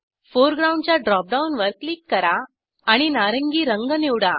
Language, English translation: Marathi, Click on Foreground drop down to select orange color